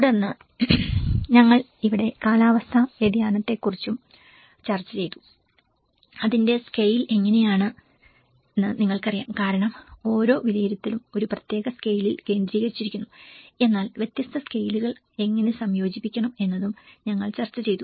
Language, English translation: Malayalam, And then here we also discussed about the climate change, the scale of it you know how one because each assessment is focused on a particular scale but how we have to integrate different scales is also we did discussed